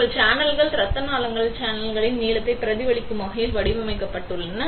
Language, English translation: Tamil, Your channels are also designed to be mimicking the channel length of the blood vessels